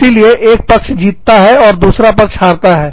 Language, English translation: Hindi, So, one party will have to win, and the other party will have to lose